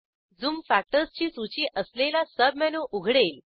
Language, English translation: Marathi, A submenu opens with a list of zoom factors